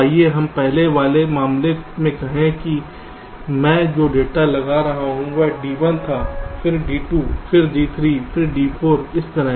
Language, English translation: Hindi, lets say, in the earlier case the data i was applying was d one, then d two, then d three, then d four